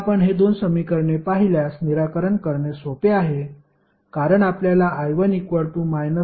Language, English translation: Marathi, Now, if you see these two equations it is very easy to solve you get the value of i 1 as minus 3